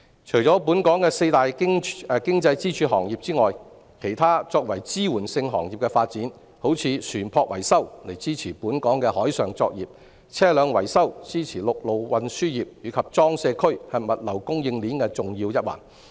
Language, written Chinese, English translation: Cantonese, 除本港的四大經濟支柱行業外，我也想說說其他作為支援性行業的發展，例如船舶維修支持本港的海上作業、車輛維修支持陸路運輸業，而裝卸區則是物流供應鏈的重要一環。, Apart from the four pillar industries of Hong Kong I would also like to discuss the development of other supporting industries such as ship repairs which supports the maritime operation of Hong Kong vehicle repairs which supports the road transport industry and cargo handling which is a key element in the logistics chain